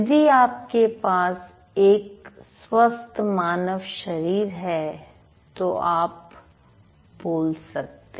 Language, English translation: Hindi, Like if you have a human body you can speak, right